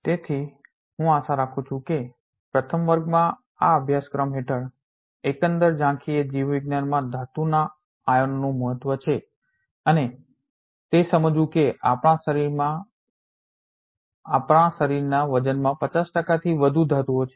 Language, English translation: Gujarati, So, I hope in the first class the overall overview of this course is the importance of the metal ions in biology and to realize that more than 50 percent of our body weight is metals